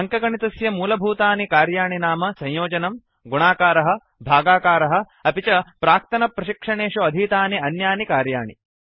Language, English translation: Sanskrit, Basic arithmetic functions include SUM for addition, PRODUCT for multiplication, QUOTIENT for division and many more which we have already learnt in the earlier tutorials